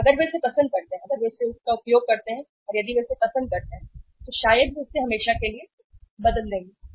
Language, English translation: Hindi, And if if they like it, if they use it and if they like it maybe they will replace it forever